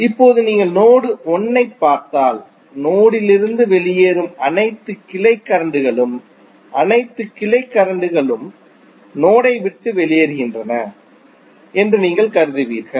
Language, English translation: Tamil, Now, if you see node 1 you can see you can assume that all branch current which are leaving the node you will assume that all branch currents are leaving the node